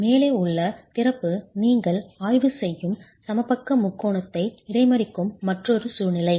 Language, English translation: Tamil, Another situation where the opening above is also intercepting the equilateral triangle that you are examining